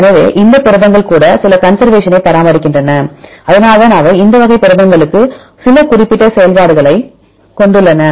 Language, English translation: Tamil, So, even these proteins maintain some conservation this is why they are having some specific functions for this type of proteins